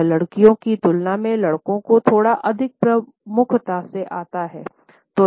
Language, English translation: Hindi, This comes across and guys a little bit more prominently than in girls